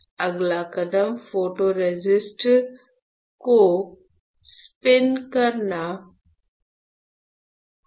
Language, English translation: Hindi, The next step would be to spin coat photoresist